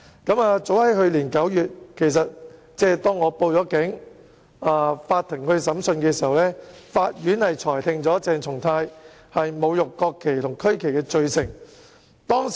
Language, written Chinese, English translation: Cantonese, 法庭於去年9月即我報警後進行審訊，裁定鄭松泰議員侮辱國旗及區旗罪成。, A trial was initiated by the Court last September after I had filed a report with the Police . Dr CHENG Chung - tai was convicted of desecrating the national flag and regional flag